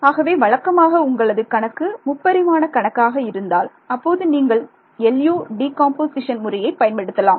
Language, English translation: Tamil, So, typically when your problem becomes a 3 dimensional problem, doing this LU decomposition itself becomes very tedious